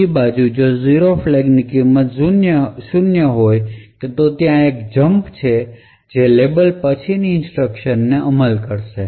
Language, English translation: Gujarati, On the other hand, if the 0 flag has a value of 0 then there is a jump which takes place and the instructions following the label would execute